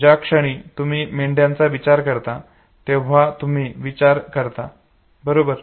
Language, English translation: Marathi, The moment you think of sheep you think, okay